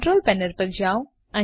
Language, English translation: Gujarati, Go to the Control Panel